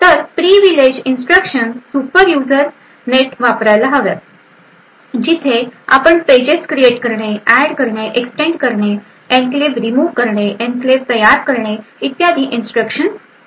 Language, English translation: Marathi, So the privileged instructions essentially should be used as a super user where you have instructions to create pages, add pages extend pages, remove enclave, and create an enclave and so on